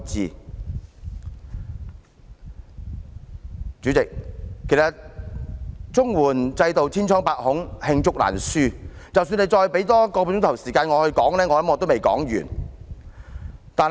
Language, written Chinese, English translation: Cantonese, 代理主席，其實綜援制度千瘡百孔，罄竹難書，即使多給我半小時發言，相信也未能說完。, Deputy President the CSSA system is fraught with problems indeed . The list of problems is inexhaustible . I believe even if I have another half an hour to speak I will not be able to finish all